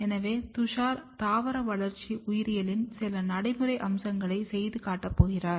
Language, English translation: Tamil, So, Tushar is going to practically demonstrate you some of the practical aspects of plant developmental biology